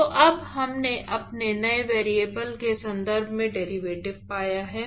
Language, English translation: Hindi, So now we have found the derivatives in terms of our new variables